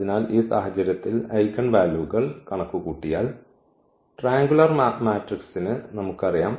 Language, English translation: Malayalam, So, in this case if we compute the eigenvalues we know for the triangular matrices